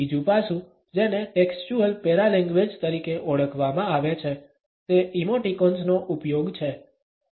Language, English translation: Gujarati, Another aspect, which has been termed as the textual paralanguage is the use of emoticons